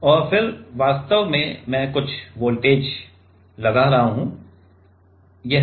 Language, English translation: Hindi, And then actually I applying some voltage ok